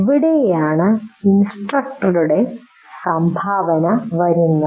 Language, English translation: Malayalam, So this is where the contribution of the instructor will come